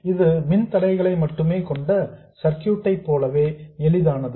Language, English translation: Tamil, This analysis is just as easy as of circuits containing only resistors